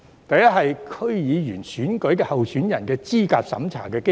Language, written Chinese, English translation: Cantonese, 第一是區議會選舉候選人的資格審查機制。, The first one is the eligibility review mechanism of the candidates of DC elections